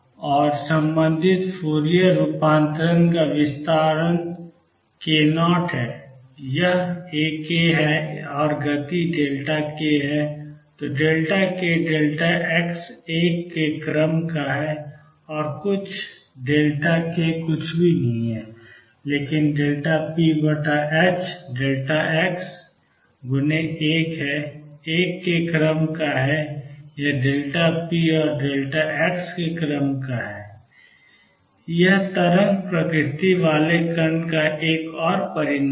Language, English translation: Hindi, And the corresponding Fourier transform has a spread around k 0 this is A k and speed is delta k then delta k delta x is of the order of 1, and delta k is nothing but delta p over h cross delta x is of the order of 1, or delta p and delta x is of the order of h cross